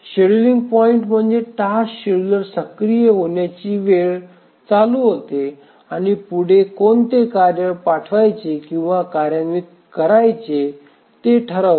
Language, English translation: Marathi, The scheduling point are the times at which the task scheduler becomes active, starts running and decides which tasks to dispatch or start execution next